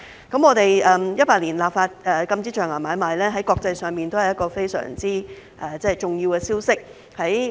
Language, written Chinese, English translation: Cantonese, 我們在2018年立法禁止象牙買賣，在國際上也是一個非常重要的消息。, Our enactment of legislation for banning ivory trade in 2018 also sent out a very important message to other parts of the world